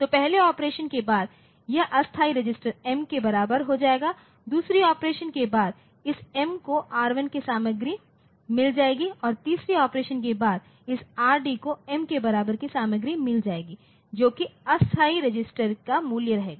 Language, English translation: Hindi, So, in the after the first operation this temp will be equal to M after the second operation this m will get the content of R1 and after the third operation this Rd will get the content of m equal to Rd will get the value of temp